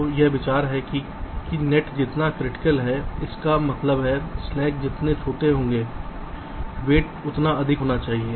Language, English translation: Hindi, so the idea is that the more critical the net that means smaller slack the weight should be greater